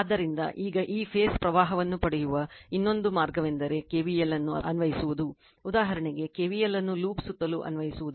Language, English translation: Kannada, So, now another way to get this phase current is to apply KVL, for example, applying KVL around loop, so, aABbna right